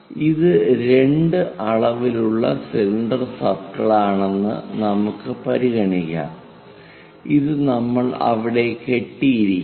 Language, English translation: Malayalam, Let us consider this is the cylinder circle in two dimensions and this is the rope which perhaps we might have tied it there